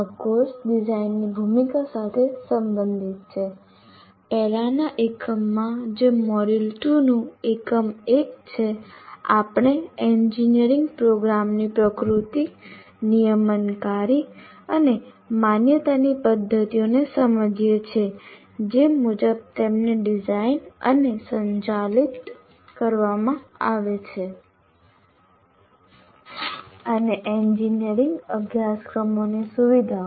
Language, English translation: Gujarati, And in the earlier unit, that is unit one of module two, we understood the nature of engineering programs, regulatory and accreditation mechanisms as per which they have to be designed and conducted and features of engineering courses